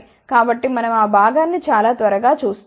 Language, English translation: Telugu, So, we will just have a very quick look into that part